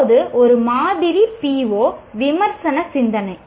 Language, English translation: Tamil, Now, a sample PO, for example, is critical thinking